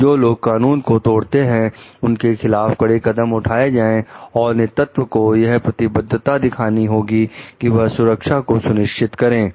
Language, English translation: Hindi, Taking strong actions against those who break the law leadership commitment to ensure safety